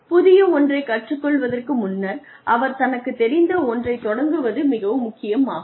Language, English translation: Tamil, In order to learn something new, it is very important to start with something that one knows